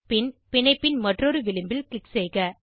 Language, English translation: Tamil, Then click other edge of the bond